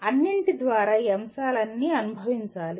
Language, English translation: Telugu, Through all that, all these aspects should be experienced